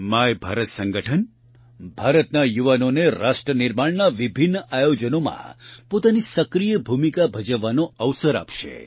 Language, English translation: Gujarati, My Bharat Organization will provide an opportunity to the youth of India to play an active role in various nation building events